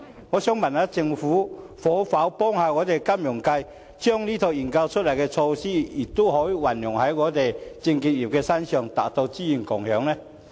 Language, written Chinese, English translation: Cantonese, 我想問政府可否幫助金融界，把這套研究出來的平台運用在證券業之上，達到資源共享呢？, I would like to know if the Government can help the financial sector in respect of applying the end product to the securities industry so as to achieve resources sharing?